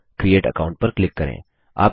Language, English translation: Hindi, So, lets click Create Account